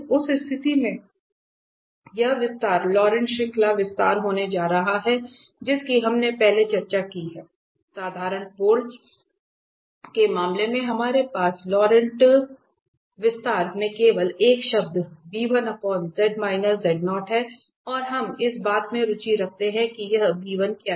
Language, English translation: Hindi, In that case, this is going to be the expansion, the Laurent series expansion which we have discussed before that, I case of simple pole we have only just one term in the Laurent series expansion that b1 over z minus z naught and we are interested in what is this b1